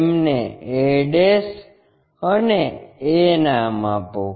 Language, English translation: Gujarati, Name them as a ' and a